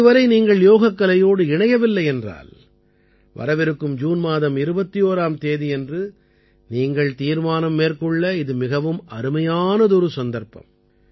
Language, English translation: Tamil, If you are still not connected with yoga, then the 21st of June is a great opportunity for this resolve